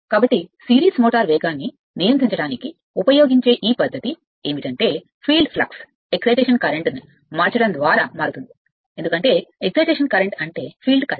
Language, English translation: Telugu, So, this method used used for controlling the speed of the series motor is to vary the field flux by varying the your, excitation current because, the excitation current means the field current right